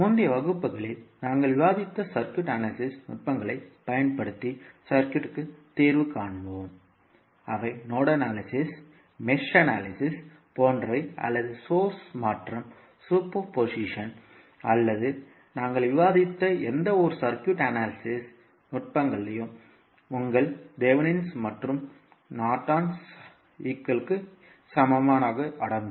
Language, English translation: Tamil, And then we will solve the circuit using the circuit analysis techniques which we discussed in the previous classes those are like nodal analysis, mesh analysis or may be source transformation, superposition or any circuit analysis techniques which we discussed this includes your Thevenin’s and Norton’s equivalent’s also